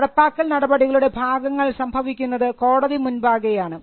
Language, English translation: Malayalam, The enforcement part happens before the courts